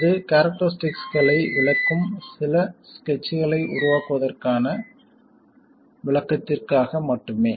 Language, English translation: Tamil, This is just for illustration in making some sketches illustrating the characteristics